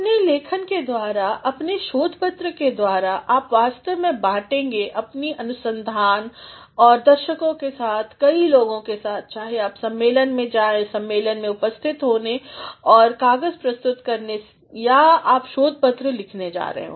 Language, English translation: Hindi, Through your writing, through your research paper, you are actually going to share your research with a wider audience, with many people, whether you go to a conference to attend the conference and present a paper or you are writing a research paper